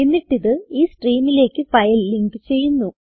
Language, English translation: Malayalam, Then it links the file with the stream